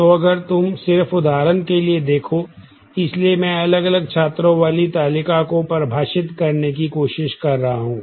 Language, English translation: Hindi, So, if you just look into the example here, so, I am trying to define a table having different students